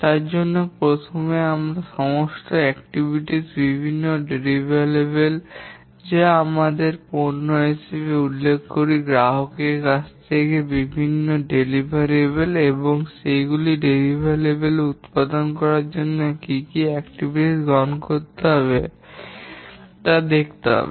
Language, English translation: Bengali, For that we need to first identify all the activities, the different deliverables which we refer to as products, the different deliverables to the customer, and what are the activities to be undertaken to produce those deliverables